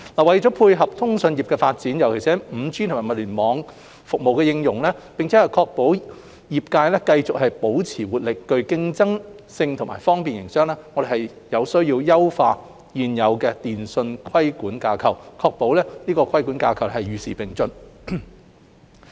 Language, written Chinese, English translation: Cantonese, 為配合通訊業的發展，尤其是 5G 和物聯網服務的應用，並確保業界繼續保持活力、具競爭性及方便營商，我們有需要優化現有電訊規管架構，確保規管架構與時並進。, To dovetail with the development of the telecommunications industry particularly the application of 5G and IoT services and ensure that the sector remains vibrant competitive and business - friendly our existing telecommunications regulatory framework has to be improved and kept updated